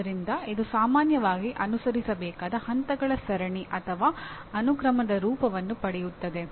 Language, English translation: Kannada, So it often takes the form of a series or sequence of steps to be followed